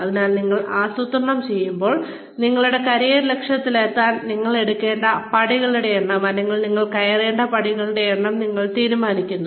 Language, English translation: Malayalam, So, when you plan, you decide, the number of steps, you need to take, or the number of steps, you need to climb, in order to reach, your career objective